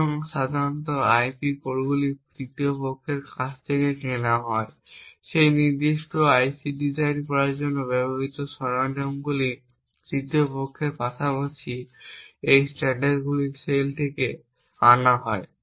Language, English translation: Bengali, So, typically the IP cores are bought from a third party, the tools used for a designing of that particular IC is also brought from third parties as well as these standard cells